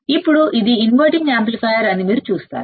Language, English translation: Telugu, Now you just see that this is an inverting amplifier